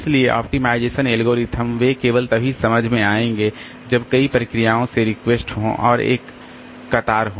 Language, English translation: Hindi, So, optimization algorithms they will make sense only if there are requests from multiple processes and there is a queue